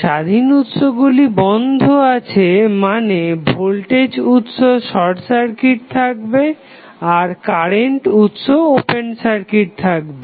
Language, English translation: Bengali, Independent Sources turned off means, the voltage source would be short circuited and the current source would be open circuit